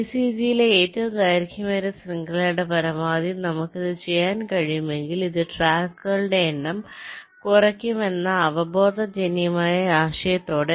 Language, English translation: Malayalam, so so, intuitively, we try to minimize the length of the longest chain in the vcg as much as possible, with the intuitive idea that if we are able to do it, this will also reduce the number of tracks